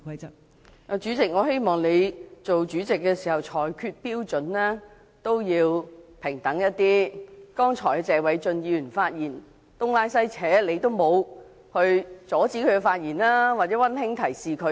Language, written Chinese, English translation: Cantonese, 代理主席，我希望你當主席時，裁決標準亦要平等一點，謝偉俊議員剛才發言時東拉西扯，你都沒有阻止他或"溫馨提示"他。, Deputy President I hope you will adopt the same criteria when you make a ruling in your capacity as the President . When Mr Paul TSE digressed in his speech just now you did not stop him or give him a friendly reminder